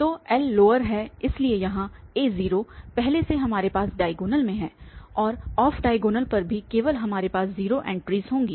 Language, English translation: Hindi, So, L is the lower, so here we have a 0 already on the diagonal and also on the off diagonal we will have 0 entries only